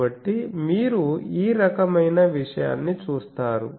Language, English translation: Telugu, So you see this type of thing